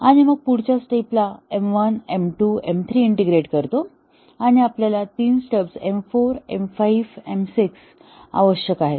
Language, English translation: Marathi, And then the next step we integrate M 1, M 2, M 3 and we need three stubs M 4 M 5 and M 6